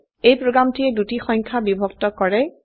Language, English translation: Assamese, This program divides two numbers